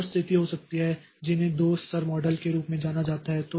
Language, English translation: Hindi, There can be another situation which is known as two level model